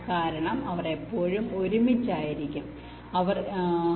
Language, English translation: Malayalam, because they will always remain together